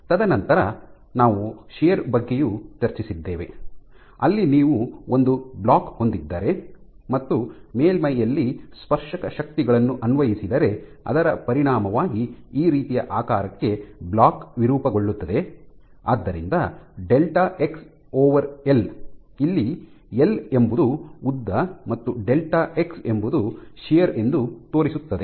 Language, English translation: Kannada, And shear, we had discussed in great details where if you have a block where you insert tangential forces on the top surface as a consequence of which the block deforms to a shape like this, and this delta x, so delta x by l this is my length l and this is delta x this is what is given by your shear